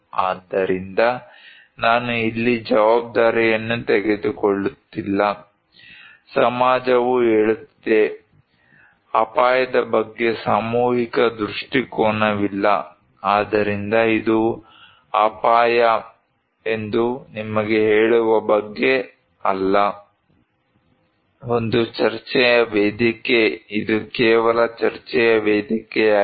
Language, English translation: Kannada, So, I am not taking the responsibility here; society is telling, no collective view about risk, so it is not about to tell you that this is what is risk, a forum of debate, this is just only a forum of debate